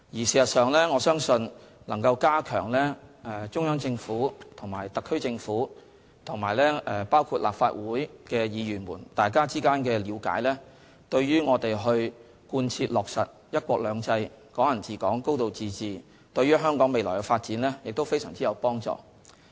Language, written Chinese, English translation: Cantonese, 事實上，我相信加強中央政府與特區政府及立法會議員之間的了解，對於我們貫徹落實"一國兩制"、"港人治港"、"高度自治"，以及香港未來的發展非常有幫助。, In fact I believe that more understanding between the Central Government the SAR Government and Legislative Council Members will be highly conducive to implementing one country two systems Hong Kong people administering Hong Kong a high degree of autonomy and Hong Kongs future development